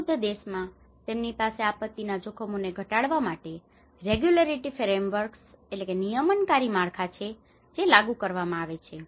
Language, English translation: Gujarati, In the richer countries, they have the regulatory frameworks to minimise the disaster risk which are enforced